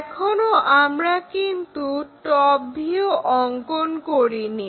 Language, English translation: Bengali, Now, we did not draw the top view